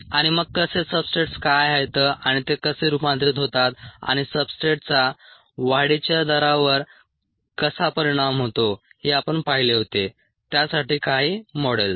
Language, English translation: Marathi, and then ah how what are substrates and how they are converted and how the substrate effects the growth rate